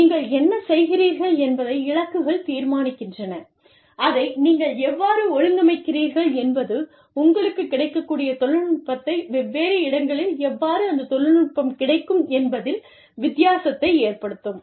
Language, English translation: Tamil, The goals determine, what you do, how you do it, how you organize yourselves, the technology available to you, the technology available in different locations, will make a difference